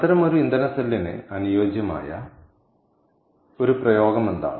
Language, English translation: Malayalam, so what is an ideal application for such a fuel cell